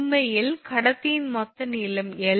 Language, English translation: Tamil, Actually total length of the conductor is small l